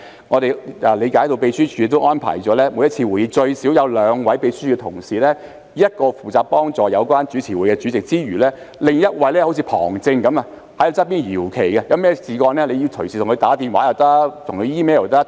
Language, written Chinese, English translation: Cantonese, 我們理解秘書處安排了每次會議最少有兩位秘書處同事負責，一位負責協助主持會議的主席，另一位則像旁證般在旁邊搖旗，一旦有何問題，議員可以隨時致電或以 email 通知他。, We understand that the Secretariat has arranged for at least two colleagues from the Secretariat to handle each meeting one to assist the Chairman who is presiding over the meeting and the other to wave the flag like an assistant referee so that if there is a problem Members may call or email the colleague at any time